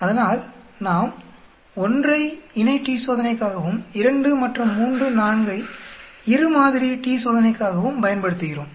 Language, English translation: Tamil, So we use 1 for paired t Test, 2 and 3, 4 for two sample t Test